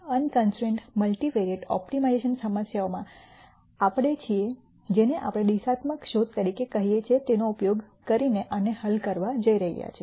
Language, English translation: Gujarati, In unconstrained multivariate optimization problems we are going to solve these using what we call as a directional search